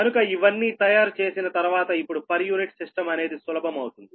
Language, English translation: Telugu, so after making all these things now, per unit system will be easier, right